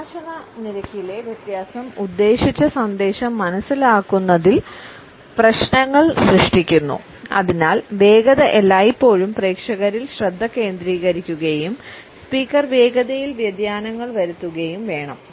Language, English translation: Malayalam, Difference in speech rate causes problems in understanding the intended message, therefore the speed should always focus on the audience and then the speaker should be able to introduce variations in the speed